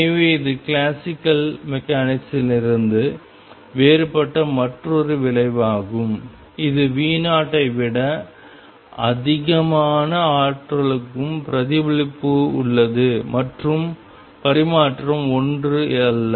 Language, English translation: Tamil, So, this is another result which is different from classical mechanics even for energy greater than V naught there is reflection and transmission is not one